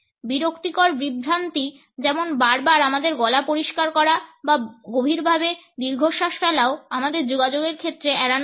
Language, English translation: Bengali, Annoying distractions for example, clearing our throats repeatedly or sighing deeply should also be avoided in our communication